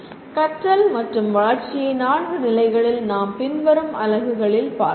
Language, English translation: Tamil, And learning and development as we will see in later units can be looked at 4 levels